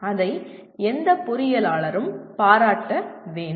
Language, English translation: Tamil, That needs to be appreciated by any engineer